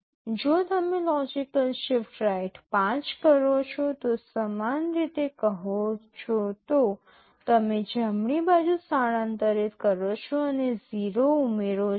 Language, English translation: Gujarati, If you say logical shift right by 5 positions similarly you shift right and 0’s get added